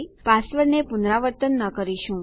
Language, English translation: Gujarati, We will not repeat our password